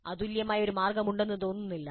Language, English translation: Malayalam, There does not seem to be any unique way